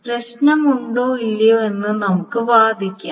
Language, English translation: Malayalam, And we will argue about whether there is a problem or not, etc